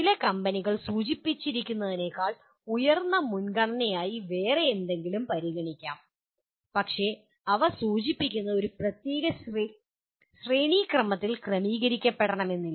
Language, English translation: Malayalam, Some companies may consider something as a higher priority than what is indicated but these are indicative, not necessarily arranged in a particular hierarchical order